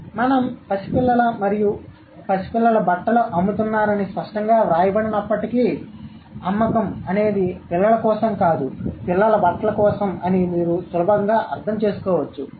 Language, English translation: Telugu, So, though it is not written explicitly that we are selling clothes of babies and toddlers, you can easily understand it that sale is not for the children but for the clothes of children